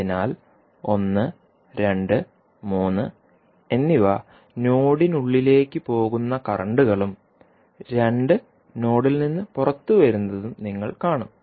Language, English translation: Malayalam, So, you will see 1, 2 and 3 are the currents which are going inside the node and 2 are coming out of the node